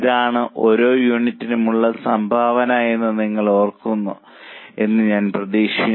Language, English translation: Malayalam, I hope you remember that is called as a contribution per unit